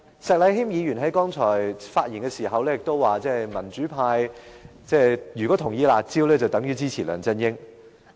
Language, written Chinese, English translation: Cantonese, 石禮謙議員剛才發言時表示，民主派如果支持"辣招"，便等於支持梁振英。, A moment ago Mr Abraham SHEK said that if the pan - democrats supported the curb measures they would be supporting LEUNG Chun - ying